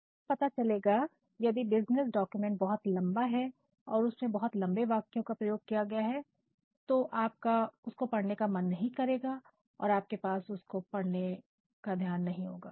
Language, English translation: Hindi, And, you will find that if any business document which is very long and which has got very lengthy sentence structures, you never think of reading them or you do not have the patients to read them